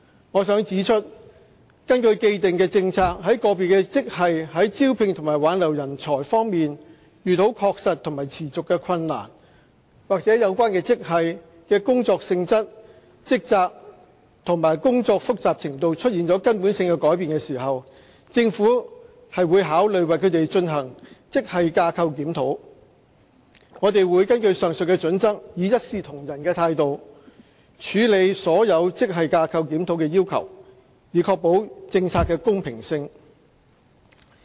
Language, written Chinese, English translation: Cantonese, 我想指出，根據既定政策，在個別職系在招聘和挽留人才方面遇到確實和持續的困難，或有關職系的工作性質、職責及工作複雜程度出現根本性的改變時，政府便會考慮為它們進行職系架構檢討。我們會根據上述準則，以一視同仁的態度處理所有職系架構檢討的要求，以確保政策的公平性。, I wish to point out that according to the established policy the Government will conduct GSRs when individual grades are facing proven and persistent recruitment or retention of staff problems or there are fundamental changes in the job nature responsibilities and job complexity of the concerned grades we will deal with all calls for GSRs according to the same broad principles as mentioned above in order to ensure that the policy will be fair